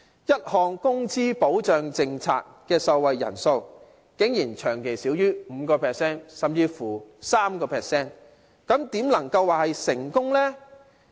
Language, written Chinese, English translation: Cantonese, 一項工資保障政策的受惠人數竟然長期少於 5%， 甚至是 3%， 怎能夠說是成功呢？, How can we consider a wage protection policy successful when the number of beneficiaries is always under 5 % or even 3 % ?